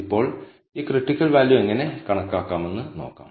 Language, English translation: Malayalam, Now, let us see how to compute this critical value